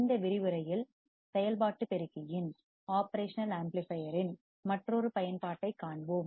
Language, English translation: Tamil, And in this lecture, we will see another application of operational amplifier